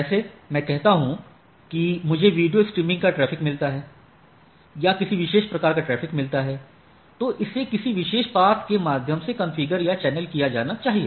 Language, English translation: Hindi, Like I say I get a traffic of streaming video or a particular type of traffic then, it says that it should be channelized to a through a particular path